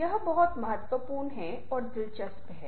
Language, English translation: Hindi, this is something very, very important, very interesting